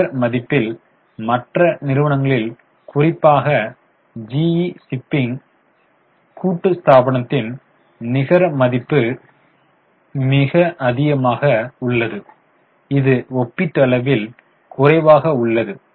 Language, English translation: Tamil, In net worth, net worth is very high for shipping corporation, pretty high for GE, for other companies is comparatively less